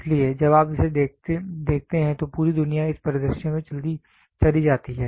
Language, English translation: Hindi, So, when you look at it the entire world goes into this scenario